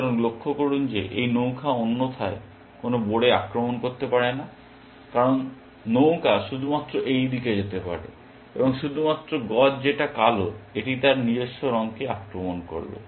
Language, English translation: Bengali, So, observe that these rooks cannot attack any of the pawns otherwise because rooks can move only in this direction, and the only bishop that black has it is the one which will attack its own color